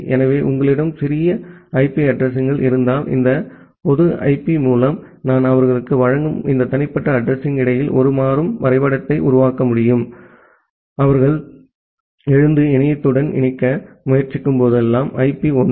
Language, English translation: Tamil, So, that way if you have a small set of pubic IP addresses, then I can possibly make a dynamic mapping between this private address that I am providing to them with this public IP; one of the public IP whenever they are waking up and trying to connect to the internet